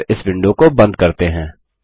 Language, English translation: Hindi, And close this window